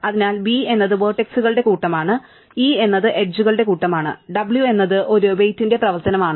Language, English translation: Malayalam, So, V is the set of vertices, E is the set of edges and w is a weight function